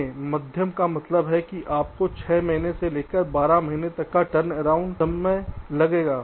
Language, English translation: Hindi, see medium means you need ah turnaround time up six months to twelve months